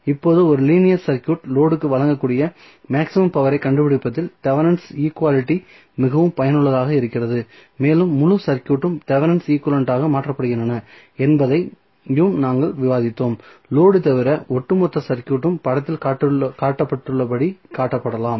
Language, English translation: Tamil, So, now, Thevenin equality is very useful in finding the maximum power a linear circuit can deliver to the load and we also discuss that entire circuit is replaced by Thevenin equivalent except for the load the overall circuit can be shown as given in the figure